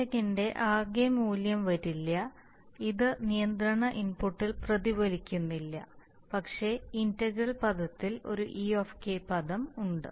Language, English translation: Malayalam, So it will so the total value of error does not come, is not reflected in the, in the control input but, in the integral term there is an e term